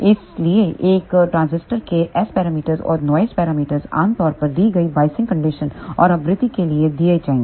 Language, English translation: Hindi, So, S parameters and noise parameters of a transistor will be generally given for given biasing condition and frequency